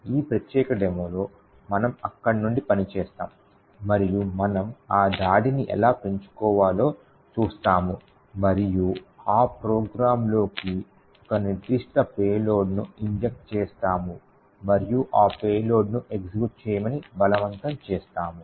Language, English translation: Telugu, In this particular demonstration we will work from there and we will see how we can enhance that attack and inject a particular payload into that program and force that payload to execute